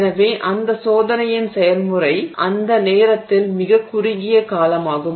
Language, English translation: Tamil, So, that process of that experiment is very short duration at that point